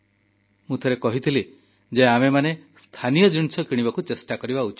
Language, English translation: Odia, I had once said that we should try to buy local products